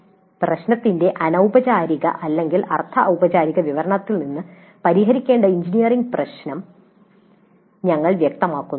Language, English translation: Malayalam, From the informal or semi formal description of the problem, we specify the engineering problem to be solved